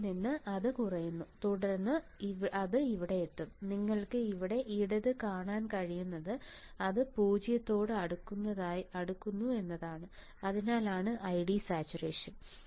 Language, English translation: Malayalam, So, from here it will go on decreasing and then it will reach here, what you can see here on the left side, what I have drawn you see right it looks like it is approaching 0, and that is why I D would be I D saturation